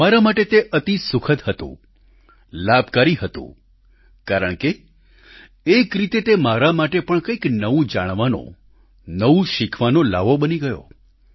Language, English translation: Gujarati, It was a very useful and pleasant experience for me, because in a way it became an opportunity for me to know and learn something new